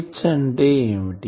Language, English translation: Telugu, So, what is H